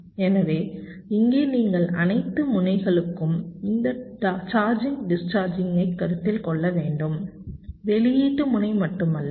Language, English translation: Tamil, so here you have to consider this charging, discharging for all the nodes, not only the output node, right